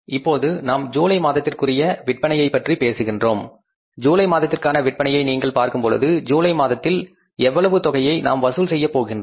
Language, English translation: Tamil, If you look at the July sales now, July sales we are going to collect how much